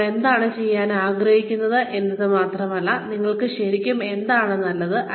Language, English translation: Malayalam, It is not only, what you want to do, but what are you really good at